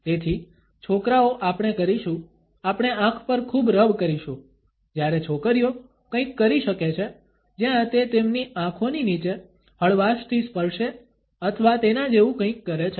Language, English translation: Gujarati, So, guys we will, we will do a full on eye rub whereas, girls might do something to where they lightly touched underneath their eye or something like that